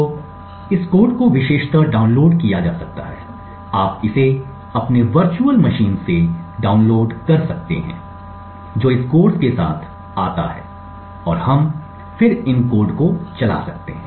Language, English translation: Hindi, So, this code can be downloaded preferably you can download it from your virtual machine which comes along with this course and we could then run these codes